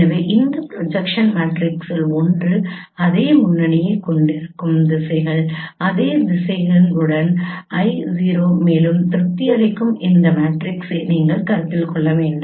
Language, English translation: Tamil, So one of this projection matrices will have the same frontal directions, same directions with I 0 and you should consider that that matrix which satisfies